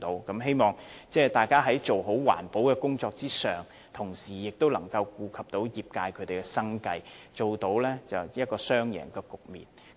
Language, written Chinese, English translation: Cantonese, 我希望在做好環保的工作上，當局可以同時顧及業界的生計，達致雙贏的局面。, I hope that the authorities in doing a good job of environmental protection should give regard to the livelihood of the industry at the same time to achieve a win - win situation